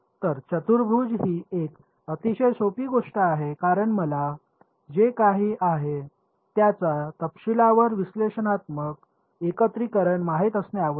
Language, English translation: Marathi, So, quadrature is a very greatly simplifying thing because it does not need me to know the detailed analytical integration of whatever right